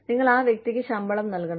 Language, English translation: Malayalam, You have to give the person, salaries